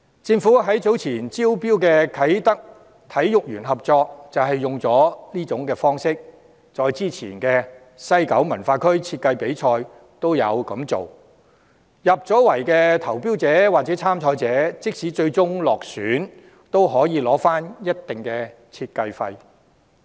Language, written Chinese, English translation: Cantonese, 政府早前招標的啟德體育園合約便是採用上這種方式，再之前的西九文化區設計比賽亦有這樣做，入圍的投標者或參賽者即使最終落選，也可以取回一定的設計費。, In the tender exercise for the Kai Tak Sports Park contract earlier the Government has adopted this approach . Before that this approach had also been adopted in the West Kowloon Cultural District design competition . Shortlisted tenderers or contestants who had failed could still receive a certain amount of design fees